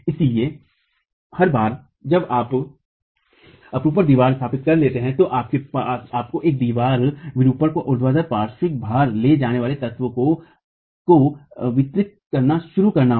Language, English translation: Hindi, So, once you have established wall shear, you have to now start looking at distributing the wall shear to the vertical lateral load carrying elements